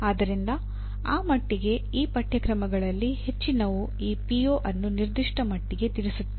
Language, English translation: Kannada, So to that extent majority of these courses do address this PO to a certain extend